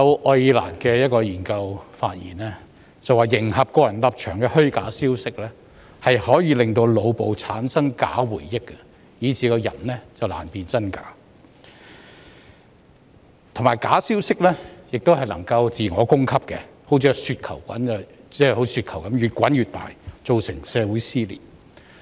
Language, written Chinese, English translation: Cantonese, 愛爾蘭一項研究發現，迎合個人立場的虛假消息可以令腦部產生假回憶，令人難辨真假，而假消息也可以自我供給，像雪球般越滾越大，造成社會撕裂。, A study in Ireland found that false information that aligns with an individuals stance can form false memories in his brain making it difficult for him to distinguish between the real or the fake and fake news can also be self - feeding thus creating a snowball effect and resulting in social dissension